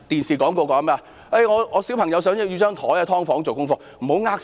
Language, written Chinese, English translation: Cantonese, 住"劏房"的小朋友想要一張書桌做功課......, A child living in a subdivided unit wants a desk to do his homework